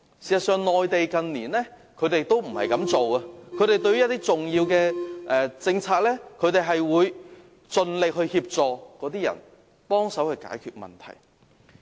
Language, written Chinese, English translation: Cantonese, 事實上，內地政府近年在落實一些重要政策時，都有盡力協助有關人士，幫忙解決問題。, Actually in recent years when Mainland authorities implement certain important policies they would endeavour to provide assistance to people concerned so as to resolve the problems